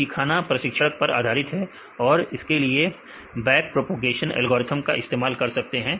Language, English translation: Hindi, So, they learned during the training using back propagation algorithm